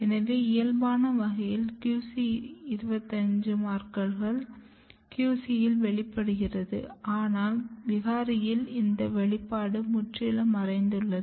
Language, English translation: Tamil, So, in wild type, you have QC 25 markers expressed in the QC, but in mutant this the expression is totally disappeared